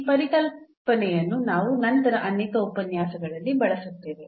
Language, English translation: Kannada, So, this concept we will also use later on in many lectures